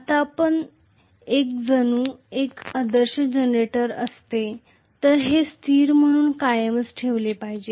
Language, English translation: Marathi, Now, as if it had been an ideal generator, this should have been maintained as a constant